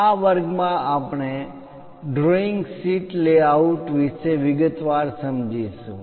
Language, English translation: Gujarati, In this class we will look at in detail for a drawing sheet layout